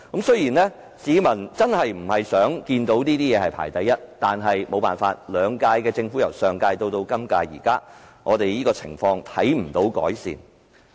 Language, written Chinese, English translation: Cantonese, 雖然市民真的不想看到這方面排名第一，但由上屆政府至本屆政府，情況未有改善。, People really hate to see Hong Kong taking the first place in this regard but the situation has not been improved from the last - term Government to the current - term Government